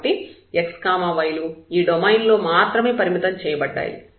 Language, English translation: Telugu, So, x y’s are restricted only within this a domain here